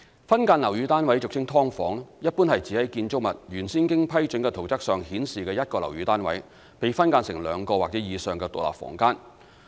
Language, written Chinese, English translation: Cantonese, 分間樓宇單位一般是指在建築物原先經批准的圖則上顯示的一個樓宇單位被分間成兩個或以上的獨立房間。, Subdivision of a flat generally refers to the subdivision of a flat as shown on the original approved plan of a building into two or more individual rooms